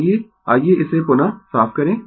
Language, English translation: Hindi, Let me let me clear it again